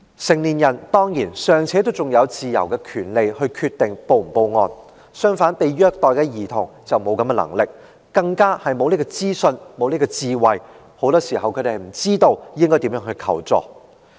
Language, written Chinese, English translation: Cantonese, 成年人當然還有權利自由決定是否報案，但被虐待的兒童卻沒有能力，更沒有資訊和智慧，很多時候他們不知道應如何求助。, For adults they of course have the right and freedom to decide whether to report their cases but the abused children are not in such position as they lack the information and wisdom . In many cases they just do not know how they should seek help